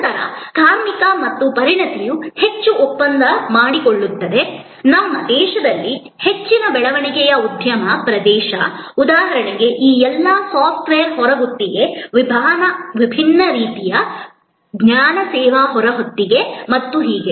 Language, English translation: Kannada, Then, labor and expertise contracts highly, a high growth industry area in the context of our country, for example, all these software outsourcing, different kind of knowledge service outsourcing and so on